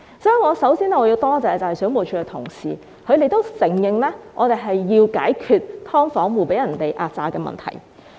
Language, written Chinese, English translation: Cantonese, 所以，我首先要多謝水務署的同事，他們認同我們是要解決"劏房"租戶被壓榨的問題。, Hence first and foremost I need to thank officers at WSD . They echoed my concern that we needed to tackle the problem of subdivided unit tenants being oppressed